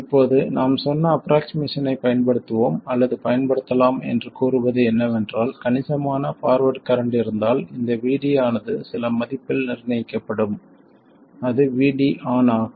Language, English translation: Tamil, Now, the approximation we said we will use or we can use is that if there is a substantial forward current then this VD will be fixed to some value which is VD on